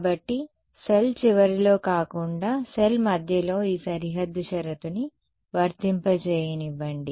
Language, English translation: Telugu, So, I say let me just apply this boundary condition in the middle of the cell rather than at the end of the cell